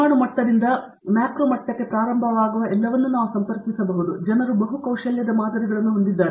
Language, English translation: Kannada, Starting what people, starting from the atomic level to the macro level can we connect everything, what people call it has multi skill modeling